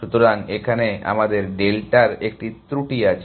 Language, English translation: Bengali, So, it has an error of our delta